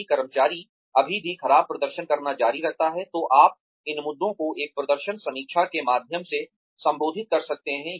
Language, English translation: Hindi, If the employee, still continues to perform poorly, then you may want to address these issues, via a performance review